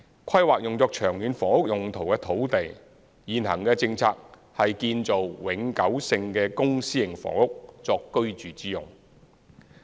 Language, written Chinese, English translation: Cantonese, 規劃用作長遠房屋用途的土地，現行的政策是建造永久性的公私營房屋作居住之用。, In terms of land planning for long - term housing purpose the current policy is to construct permanent public and private housing for residential purpose